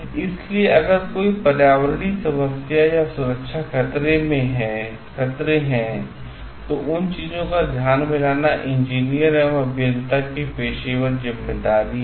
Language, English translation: Hindi, So, if there is any environmental issues or safety hazards it is the responsibility of the professional responsibility of the engineer to bring those things into the focus